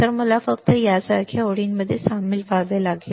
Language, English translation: Marathi, So, now, I can I had to just join lines like this see